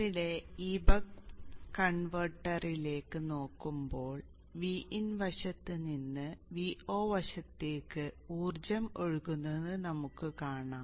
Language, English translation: Malayalam, Consider this buck converter here we see that the energy is flowing from the V In side to the V 0 side